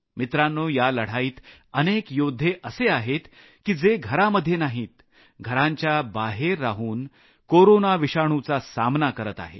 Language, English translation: Marathi, Friends, in this war, there are many soldiers who are fighting the Corona virus, not in the confines of their homes but outside their homes